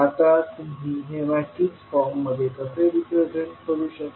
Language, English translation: Marathi, Now in matrix form how we will represent